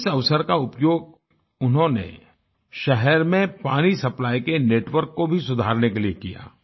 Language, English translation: Hindi, He utilized this opportunity in improving the city's water supply network